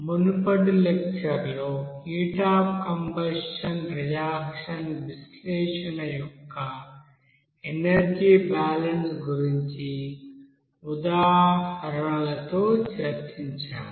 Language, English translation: Telugu, In the previous lecture we have discussed about that energy balance with heat of combustion reaction, analysis with examples